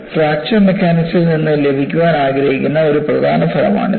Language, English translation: Malayalam, And this is what, one of the important results that we want to get from fracture mechanics